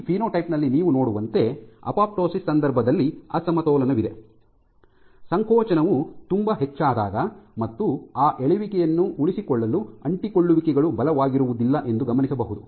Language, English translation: Kannada, As you see in this phenotype here suggesting that in case of apoptosis you have these imbalance that the effect of contractility is so high, that adhesions are not enough as not strong enough to sustain that pull